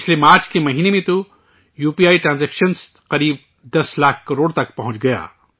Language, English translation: Urdu, Last March, UPI transactions reached around Rs 10 lakh crores